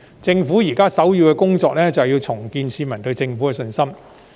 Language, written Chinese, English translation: Cantonese, 政府現時首要的工作是重建市民對政府的信心。, At present the top priority task of the Government is to rebuild public confidence in the Government